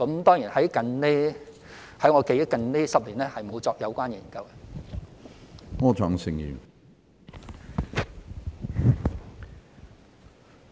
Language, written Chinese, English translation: Cantonese, 當然，據我記憶，近10年也沒有進行相關研究。, And according to my memory we have not done related studies in the past 10 years